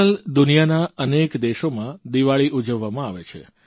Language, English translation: Gujarati, These days Diwali is celebrated across many countries